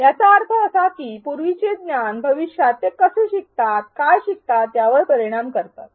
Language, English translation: Marathi, This means that prior knowledge affects how they learn in future, what they learn and how they learn